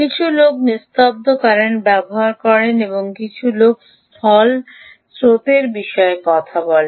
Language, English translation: Bengali, so some people use ah quiescent current and some people talk about ground current